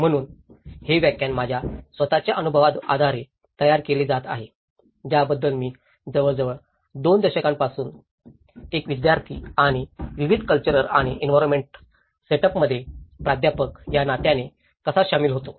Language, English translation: Marathi, So, this lecture is being prepared based on my own experiences for about 2 decades how I have been involved both as a student and as a faculty in different cultural and environmental setups